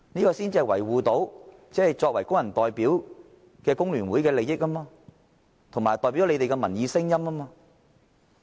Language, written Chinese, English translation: Cantonese, 因為工聯會作為工人代表，這樣才能維護工人，才能代表他們的民意聲音。, Because FTU is the representative of workers and only in this way can it protect workers and only in this way can it echo the voices of the people